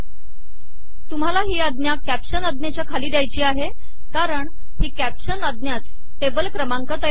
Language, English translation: Marathi, You have to give it below the caption command because it is the caption command that creates the table number